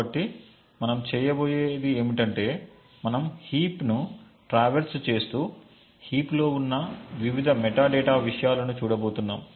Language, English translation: Telugu, So, what we are going to do is that we are going to traverse the heap and look at the various metadata contents present in the heap